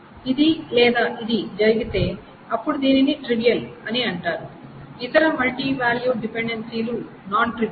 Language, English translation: Telugu, This, either this or this happens, then this is called a trivial and any other MVD is non trivial